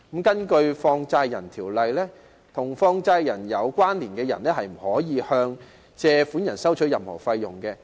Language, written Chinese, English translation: Cantonese, 根據《放債人條例》，與放債人有關連的人士不可以向借款人收取任何費用。, According to the Money Lenders Ordinance any person who is connected to a money lender is prohibited from charging borrowers any fees